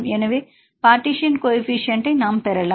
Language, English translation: Tamil, So, we can get the partition coefficient right